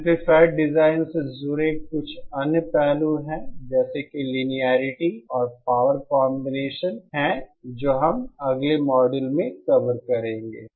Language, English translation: Hindi, There are some other aspects like associated with amplifier design like linearity and power combination, so that we will be covering in the next modules